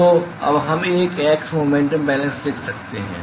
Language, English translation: Hindi, So, now we can write an x momentum balance